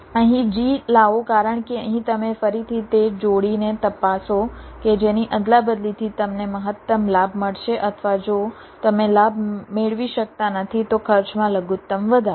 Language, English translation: Gujarati, bring g here, b, because here you again check the pair whose exchange will either give you the maximum benefit or, if you cant get a benefit, the minimum increase in cost